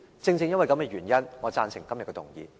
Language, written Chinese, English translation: Cantonese, 正正因為這個原因，我贊成今天的議案。, It is precisely the reason for my support for the motion today